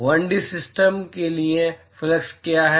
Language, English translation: Hindi, What is the flux for a 1 D system